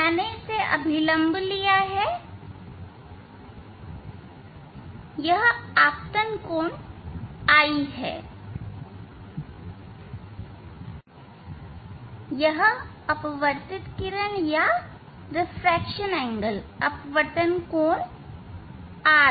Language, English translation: Hindi, this is the incident angle I; this is the incident angle i this the refracted ray angle of refraction is r